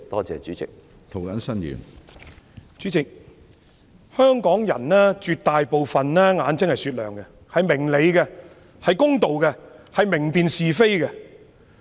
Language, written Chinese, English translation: Cantonese, 主席，絕大部分香港人的眼睛是雪亮的，他們明理公道、明辨是非。, President most Hong Kong peoples eyes are sharp and discerning . They are reasonable just and can well distinguish between right and wrong